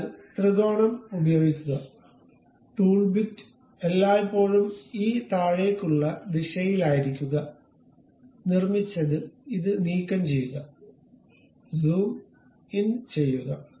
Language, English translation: Malayalam, So, use triangle, tool bit always be in this downward direction, constructed remove this one, zoom in